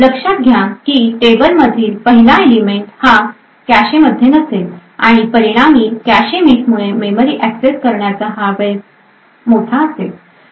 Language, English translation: Marathi, Notice that the first element in the table is not present in the cache and as a result the memory access time would be large due to the cache misses